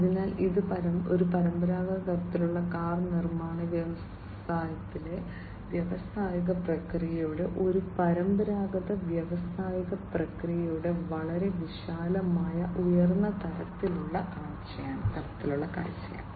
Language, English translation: Malayalam, So, this is a very broad high level view of the industrial process, a traditional industrial process, in a traditional kind of car manufacturing industry